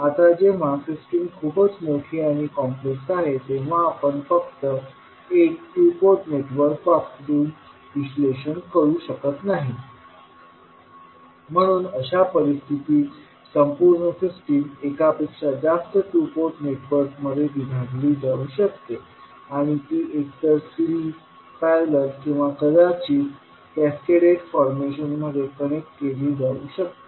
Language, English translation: Marathi, Now, when the system is very large and complex, we cannot analyse simply by putting one two port network, so in that case it is required that the complete system can be subdivided into multiple two port networks and those can be connected either in series, parallel or maybe in cascaded formation